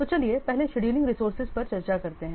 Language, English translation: Hindi, So let's first discuss about the scheduling resources